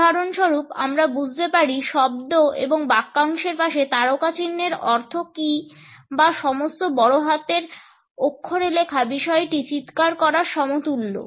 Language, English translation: Bengali, For example, we understand, what is the meaning of asterisk around words and phrases or for that matter writing in all caps is equivalent to shouting